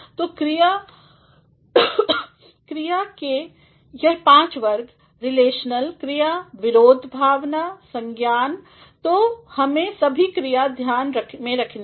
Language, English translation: Hindi, So, these 5 categories of verbs: relational, verbs opposition, emotion, cognition; so, one has to keep all these verbs into consideration